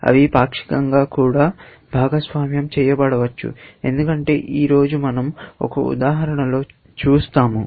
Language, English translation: Telugu, They may be even shared partially, as we will see in an example today